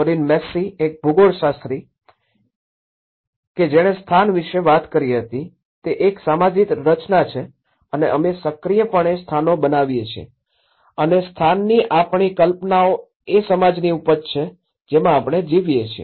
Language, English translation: Gujarati, Doreen Massey, a geographer she talked about place is a social construct and we actively make places and our ideas of place are the products of the society in which we live